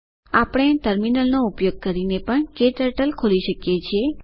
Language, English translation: Gujarati, We can also open KTurtle using Terminal